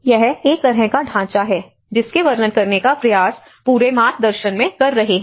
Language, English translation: Hindi, This is a kind of framework which they try to describe the whole guide